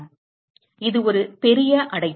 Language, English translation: Tamil, So, it is a large enclosure